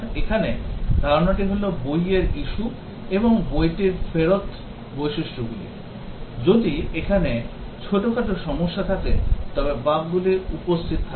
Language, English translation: Bengali, The idea here is that the book issue and the book return features, if there even small problems, bugs are present